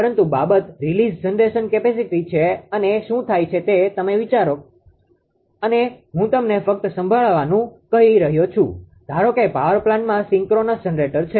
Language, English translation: Gujarati, First thing is release generation capacity this is actually you what happen that you think like this I am just telling you just listening just listen that suppose is generator suppose in power plant synchronous generator, right